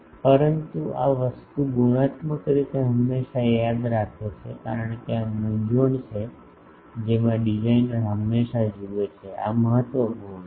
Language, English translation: Gujarati, But this thing qualitatively remember always because, this is the dilemma in which a designer always sees so, this is important